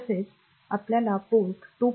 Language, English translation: Marathi, So, that is the Port 0